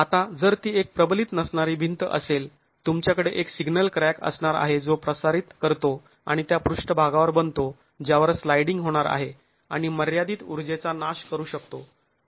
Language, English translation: Marathi, Now if it is an unreinforced wall, you are going to have one single crack that propagates and becomes the surface on which the sliding is going to occur and can dissipate a limited amount of energy